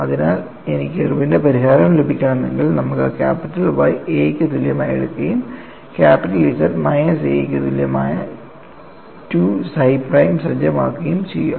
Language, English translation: Malayalam, So, if I have to get the Irwin’s solution, you take capital Y equal to A and set 2 psi prime equal to capital Z minus A, then one get us sigma x sigma y tau xy in this fashion